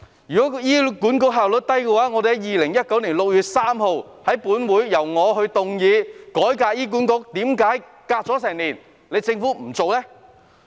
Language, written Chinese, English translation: Cantonese, 如果是醫管局效率低的話，我曾在2019年6月5日於本會動議一項改革醫管局的議案，為何政府隔了一年也不願意做呢？, If it is due to the low efficiency of HA why is the Government unwilling to act on the motion I moved on 5 June 2019 in this Council on reforming HA even after a year?